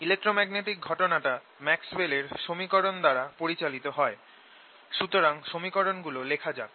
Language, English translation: Bengali, electromagnetic phenomena is described completely by maxwell's equations